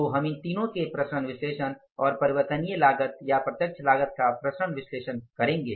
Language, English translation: Hindi, So, we will go for the variance analysis of these three components of the variable cost or the direct cost